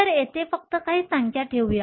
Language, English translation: Marathi, So, let us just put some numbers here